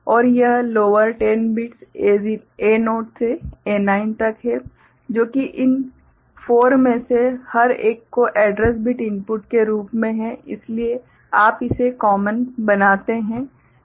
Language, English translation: Hindi, And the lower this 10 bits A0 to A9, which is there as address bit inputs to each one of these four, so you make it common